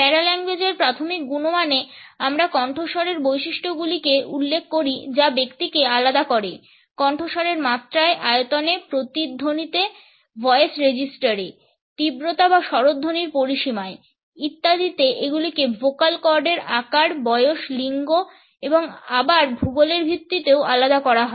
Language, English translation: Bengali, In the primary quality of paralanguage we refer to the characteristics of voice that differentiate individuals, the pitch, the volume, the resonance, the intensity or volume the range of the intonation the voice register etcetera these are differentiated because of the size of the vocal cords, they are also differentiated by the gender and also by age and also they are differentiated on the basis of the geography